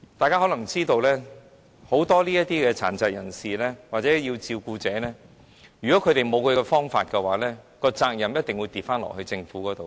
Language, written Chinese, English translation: Cantonese, 大家可能也知道，很多殘疾人士或照顧者如果沒有辦法處理他們的問題，責任便一定重新落在政府身上。, Members may already be aware that if many people with disabilities or their carers are unable to handle their problems the responsibility will definitely fall back onto the Government